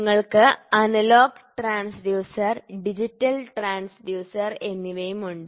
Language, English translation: Malayalam, So, you also have analogous transducer and digital transducer